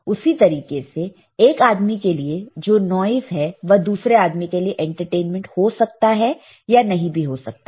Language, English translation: Hindi, Similarly, a noise for one person cannot be can be a entertainment for other person all right